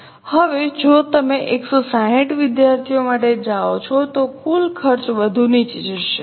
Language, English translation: Gujarati, Now if you go for 160 students will total cost further go down